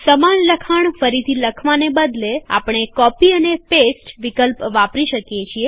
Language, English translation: Gujarati, Instead of typing the same text all over again, we can use the Copy and Paste option in Writer